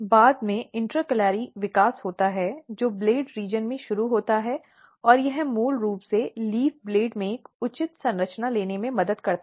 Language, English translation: Hindi, Later on there is a intercalary growth it start in the blade region and that basically helps in the leaf blade to take a proper structure